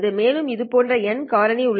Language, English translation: Tamil, But this factor gets multiplied n times